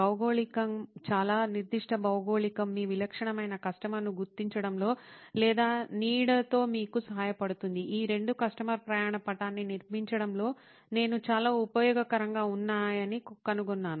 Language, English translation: Telugu, A geography very specific geography can also help you with tracking down or shadowing your typical customer, these two are something that I found to be very useful in constructing a customer journey map